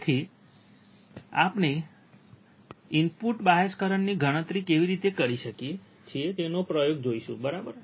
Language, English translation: Gujarati, So, we will see the experiment of how we can calculate the input bias current, alright